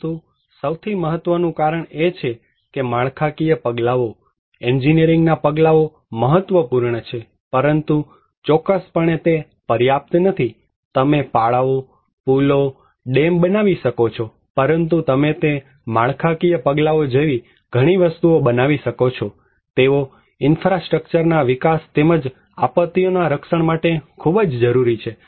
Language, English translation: Gujarati, But the most important finding is that structural measures; engineering measures are important, but not enough that is for sure, you can build dikes, bridges, dams but you can make a lot of things like that structural measures, but they are very necessary for infrastructure development to protect and mitigate disasters